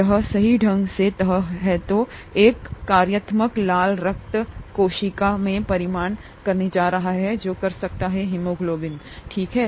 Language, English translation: Hindi, ItÕs folding correctly is what is going to result in a functional red blood cell which can carry haemoglobin, okay